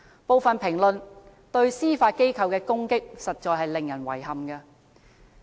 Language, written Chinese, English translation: Cantonese, 部分評論對司法機構的攻擊實在令人遺憾。, I find some criticisms which attack the Judiciary regrettable